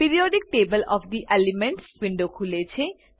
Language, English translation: Gujarati, Periodic table of the elements window opens